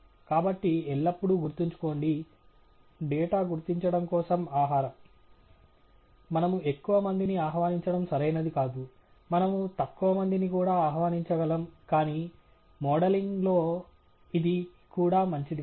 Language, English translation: Telugu, So, always remember, data is food for identification; we don’t want to over invite, we may under invite, but that is also not good in modelling